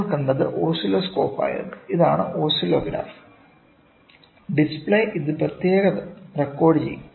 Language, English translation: Malayalam, So, what we saw was oscilloscope, this is oscilloscope; display it can be recorded separately